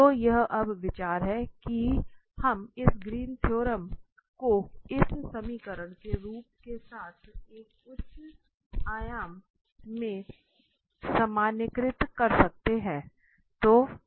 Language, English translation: Hindi, So, this is the idea now, that we can generalize this Greens theorem with this form of this equation to a higher dimensions